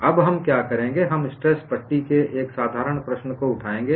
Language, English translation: Hindi, Now, what we will do is, we will take up a simple problem of a tension strip